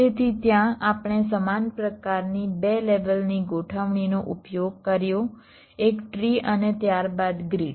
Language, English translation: Gujarati, so there we used a similar kind of a two level configuration: a tree followed by a grid, so the global mesh